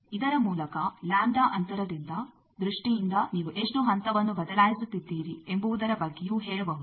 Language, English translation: Kannada, By this which is in terms of lambda distance that can be also said in terms of how much phase you are changing